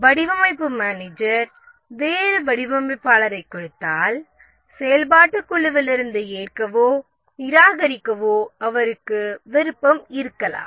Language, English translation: Tamil, And if the functional manager, the design manager gives a different designer, he may have the option to either accept or reject from the functional group